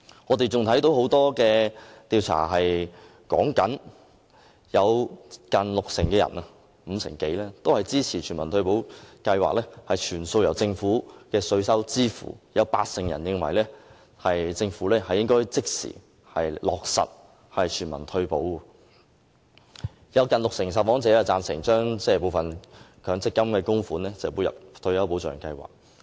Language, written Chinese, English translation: Cantonese, 我們亦看到，很多調查顯示大約五成多，接近六成的受訪者支持全民退休保障計劃全數由政府的稅收支付；有八成人認為政府應該即時落實全民退休保障；有近六成的受訪者贊成將部分強積金的供款撥入退休保障計劃。, We can also see from the surveys that over 50 % or close to 60 % of the respondents support that the universal retirement protection scheme be entirely funded by public coffers; 80 % of them think the Government should immediately implement universal retirement protection; and nearly 60 % support the transfer of part of the contribution for the Mandatory Provident Fund to the retirement protection scheme